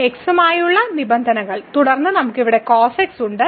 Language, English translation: Malayalam, So, terms with terms with x and then we have here